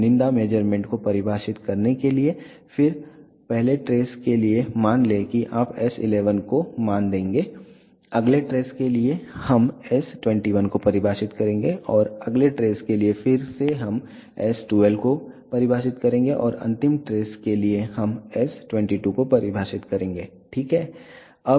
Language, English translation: Hindi, In order to define select measure then let us say for the first trace you will give the value s 11, for the next trace we will define s 21 and for the next trace again we will define s 12 and for last trace we will define s 22, ok